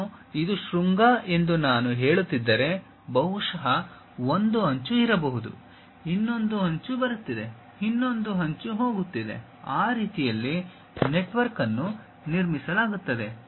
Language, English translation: Kannada, Something, like if I am saying this is the vertex perhaps there might be one edge, another edge is coming, another edge is going; that way a network will be constructed